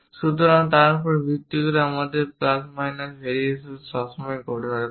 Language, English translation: Bengali, So, based on that your plus and minus variations always happen